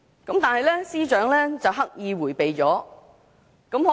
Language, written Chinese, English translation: Cantonese, 但是，司長刻意迴避了也這問題。, However the Chief Secretary has deliberately evaded the question